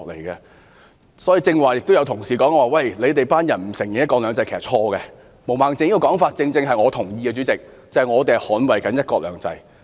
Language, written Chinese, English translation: Cantonese, 剛才有同事指我們不承認"一國兩制"，這說法是錯誤的，我認同毛孟靜議員的說法，主席，我們正是在捍衞"一國兩制"。, Just now some Honourable colleagues said we do not recognize one country two systems . Such a remark is wrong . I agree with what Ms Claudia MO said President